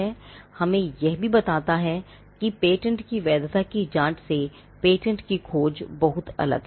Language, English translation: Hindi, This also tells us a patentability search is much different from a inquiry into the validity of a patent